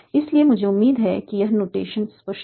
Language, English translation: Hindi, So I hope this notation is clear